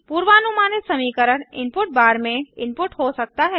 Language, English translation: Hindi, The predicted function can be input in the input bar